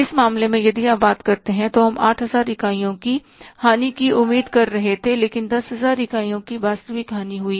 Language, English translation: Hindi, In this case if you talk about we were expecting a loss of the 8,000 units but the actual loss is of the 10,000 units